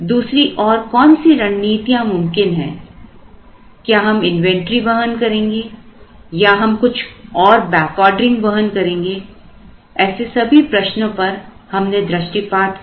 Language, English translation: Hindi, What are the other strategies are we going to hold inventory or are we going to incur some back ordering, so we looked at all those questions